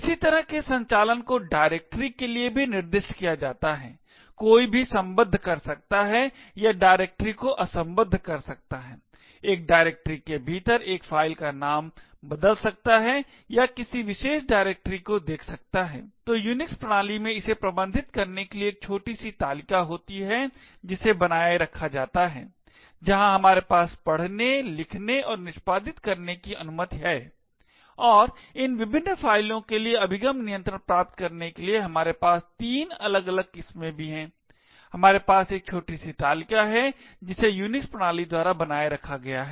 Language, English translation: Hindi, Similar kind of operations are specified for directories as well, one could create link or unlink directories, rename a file within a directory or look up a particular directory, so in order to manage this in the Unix system there is a small table which is maintained, where we have the permissions read, write and execute and we also have three different varieties in order to achieve the access control for these various files, we have a small table which is maintained by the Unix system